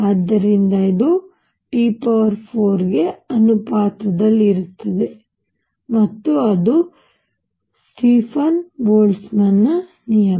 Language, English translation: Kannada, So, this is also proportional to T raise to 4 and that is the Stefan Boltzmann law